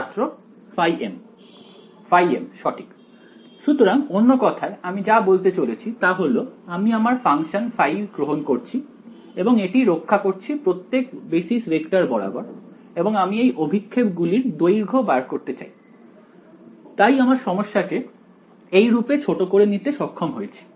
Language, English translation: Bengali, Phi m right; so, in other words what I am trying to say is that take my function phi and project it along each of these basis vectors and I want to find out the length of these projections that is what I have reduced my problem to right